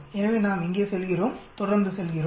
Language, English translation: Tamil, So we go here, continue we say